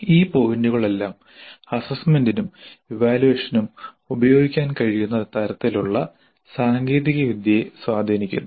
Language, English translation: Malayalam, Now all these points do have a bearing on the kind of technology that can be used for assessment and evaluation